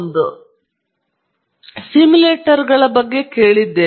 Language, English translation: Kannada, We have heard of simulators